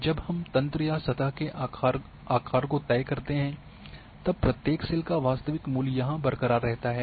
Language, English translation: Hindi, So when we decide the size of the grid or the surface which we are intended then in this one the original values for each cell are intact here